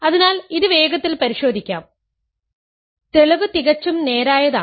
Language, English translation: Malayalam, So, let us check this quickly, the proof is fairly straightforward